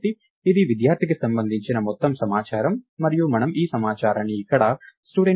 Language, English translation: Telugu, So, its all the information about a student and we call this information here studentInfo